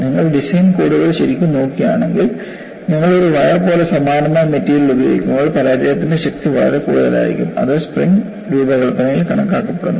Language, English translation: Malayalam, If you really look at the design codes, the failure strength will be much higher when you use the same material as a wire; that is accounted for in spring design